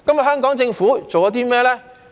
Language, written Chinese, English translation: Cantonese, 香港政府做了甚麼呢？, What has the Hong Kong Government done?